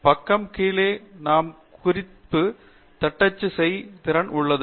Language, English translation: Tamil, At the bottom of the page we have an ability to type out the reference